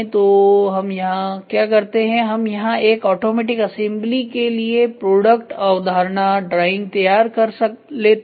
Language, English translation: Hindi, So, here what we do if we prepare preparing product concept drawing including once for automatic assembly